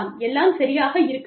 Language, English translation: Tamil, Everything may be, okay